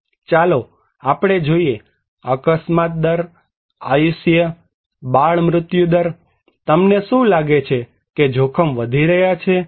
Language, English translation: Gujarati, Let us look; accident rate, life expectancy, infant mortality what do you think dangers is increasing